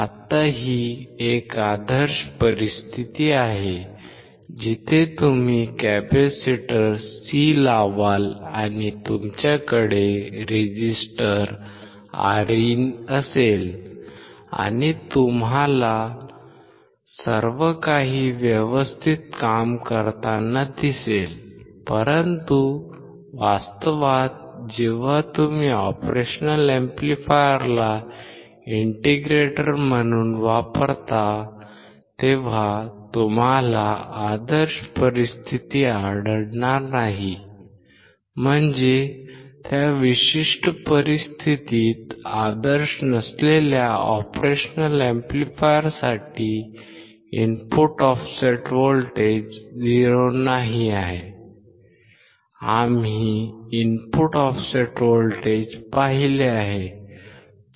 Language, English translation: Marathi, Now, this is an ideal situation, where you will put a capacitor C and you will have resistor Rin and you will find everything working well, but in actual operation amplifier when you use as an integrator, you will not find the ideal situation; that means, that the in that particular situation the input offset voltage which is for a non ideal Op Amp is not 0 we have seen input offset voltage